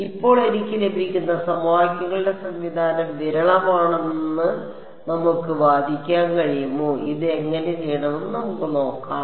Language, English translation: Malayalam, Now, can we argue that the system of equations I get is sparse, let us look at the how should we do this